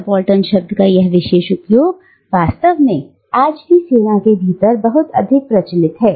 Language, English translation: Hindi, And this particular use of the word subaltern, in fact, is still very much prevalent within the military even today